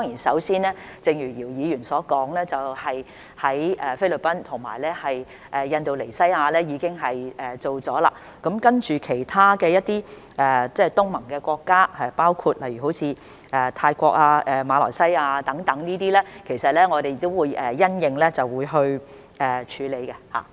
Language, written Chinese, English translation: Cantonese, 首先，正如姚議員所說，我們與菲律賓和印尼已經作出了安排；接着跟其他東盟國家，包括泰國和馬來西亞等，其實我們也會因應情況處理。, First of all as Mr YIU said we have already made arrangements with the Philippines and Indonesia . In fact we will then deal with other ASEAN countries including Thailand and Malaysia as appropriate